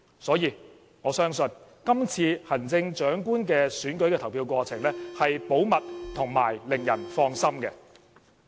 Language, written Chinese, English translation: Cantonese, 所以，我相信今次行政長官選舉的投票過程是保密及令人放心的。, Thus I believe that the voting process of the Chief Executive Election this time will be conducted in a confidential manner so as to ensure that people can rest assured